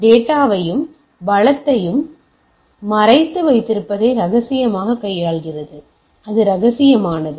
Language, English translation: Tamil, So, confidentially deals with keeping the data and the resource hidden alright, so that is confidential